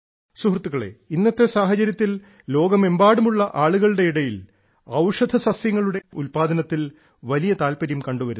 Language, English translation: Malayalam, Friends, in the current context, with the trend of people around the world regarding medicinal plants and herbal products increasing, India has immense potential